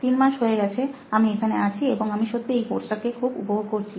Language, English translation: Bengali, So it has been three months here and I am really enjoying this course